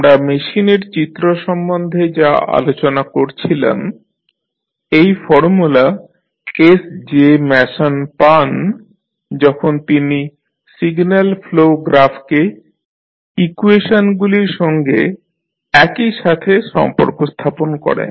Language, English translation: Bengali, So, what we discussed about the Mason’s rule that this particular formula was derived by S J Mason when he related the signal flow graph to the simultaneous equations that can be written from the graph